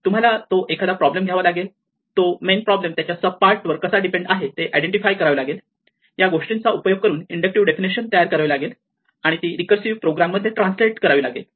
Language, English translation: Marathi, So, you need to take a problem, identify how the main problem depends on its sub parts and using this come up with the nice inductive definition which you can translate in to a recursive program